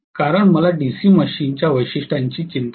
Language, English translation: Marathi, Because I am not concerned about the DC machines characteristics right